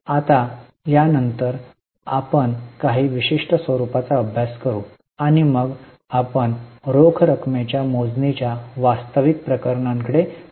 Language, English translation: Marathi, Now after these we will move to we will have a look at certain formats and then we will move to the actual cases of calculation for cash flow